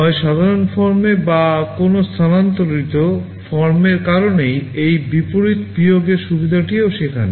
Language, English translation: Bengali, Either in the normal form or in some shifted form that is why this reverse subtract facility is also there